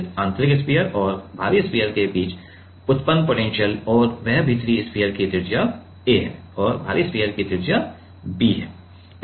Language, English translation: Hindi, The potential generated between this inner sphere and the outer sphere, and that inner sphere radius is a and the outer sphere radius is b